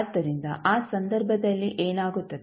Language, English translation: Kannada, So, what will happen in that case